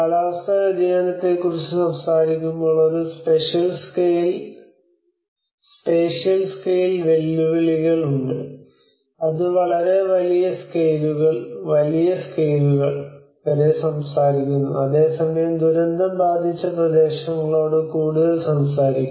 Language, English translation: Malayalam, There is a spatial scale challenges when we talk about the climate change it talks about its very it talks up to much bigger scales, larger scales whereas the disaster it talks about much more to the pointed affected areas